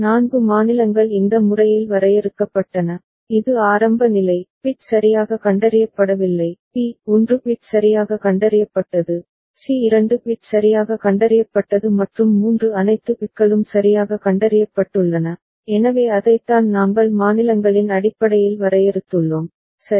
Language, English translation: Tamil, And the 4 states were defined in this manner that a, that is initial state, no bit is detected properly, b 1 bit is detected ok, c was 2 bit detected properly and d was all 3 bits have been detected properly ok, so that is what we had defined in terms of the states, right